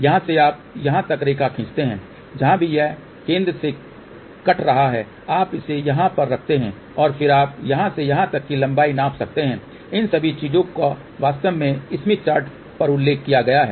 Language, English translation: Hindi, From here you draw the line up to this here wherever it is cutting from the center, you put it over here and then you can measure the length from here to here all these things are actually mentioned on the smith chart